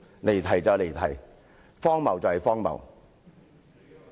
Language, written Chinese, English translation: Cantonese, 離題就是離題，荒謬就是荒謬。, Digressions are digressions; absurdities are absurdities